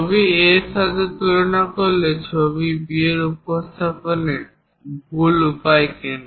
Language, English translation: Bengali, Picture B is wrong way of representation when compared to picture A why